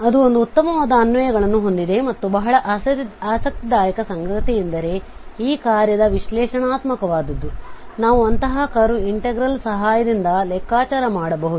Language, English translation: Kannada, So that is has a nice applications and a very interesting fact that the derivative of this function which is analytic we can compute with the help of such integrals, such a curve integral